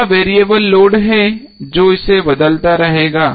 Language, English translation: Hindi, So this is the variable load it will keep on changing